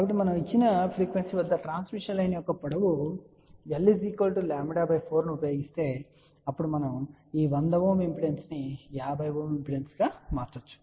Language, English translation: Telugu, So, if we use a transmission line of length lambda by 4 at a given frequency , then we can transform this 100 Ohm impedance to 50 Ohm impedance